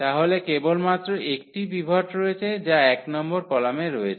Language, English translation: Bengali, So, there is only one pivot that is in the column number 1